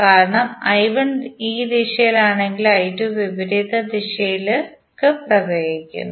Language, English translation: Malayalam, Because I 1 is in this direction but I 2 is flowing in opposite direction